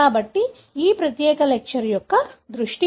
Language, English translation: Telugu, So, that's, the focus of this particular lecture